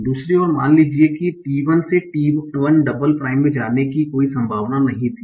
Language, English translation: Hindi, On the other end, suppose that from T1 there was no possibility of going to T1 double prime